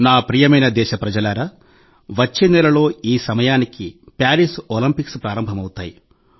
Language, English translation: Telugu, My dear countrymen, by this time next month, the Paris Olympics would have begun